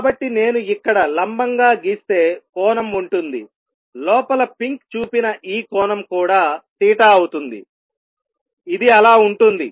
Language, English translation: Telugu, So, the angle would be if I draw perpendicular here this angle inside shown by pink is also going to be theta, this is going to be theta